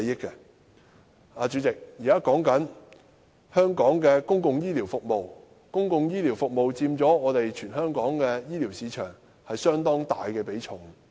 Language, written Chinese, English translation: Cantonese, 代理主席，現在說的是香港公共醫療服務，在全港醫療市場中，公共醫療服務佔相當大的比重。, Deputy President we are now talking about public healthcare services . In the healthcare market in the territory public healthcare services account for a relatively significant share